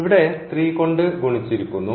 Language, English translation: Malayalam, Indeed, we have multiplied by the equation this by 3 here